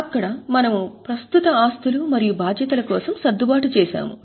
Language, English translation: Telugu, There we make adjustment for current assets and liabilities